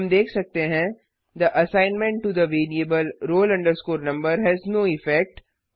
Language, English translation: Hindi, We can see The assignment to the variable roll number has no effect